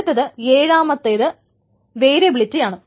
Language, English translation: Malayalam, And the seventh one is the variability